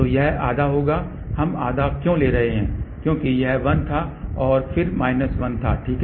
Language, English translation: Hindi, So, that will be half of why we are taking half, because it was 1 and then minus 1, ok